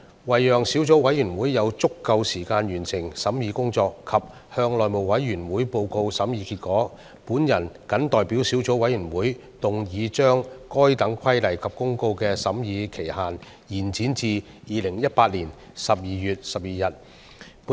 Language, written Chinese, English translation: Cantonese, 為了讓小組委員會有足夠時間完成審議工作及向內務委員會報告審議結果，我謹代表小組委員會，動議將該等規例及公告的修訂期限延展至2018年12月12日的立法會會議。, In order to allow the Subcommittee to have sufficient time to complete the scrutiny and report to the House Committee the results of its deliberations I move the motion on behalf of the Subcommittee that the period for amending the Regulation and the Notice be extended to the Council meeting of 12 December 2018